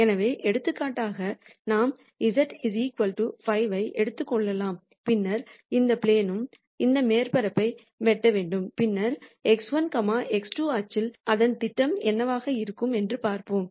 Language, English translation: Tamil, So, for example, we could take z equal to 5 and then have that plane cut this surface then let us see what the projection of that in x 1, x 2 axis will be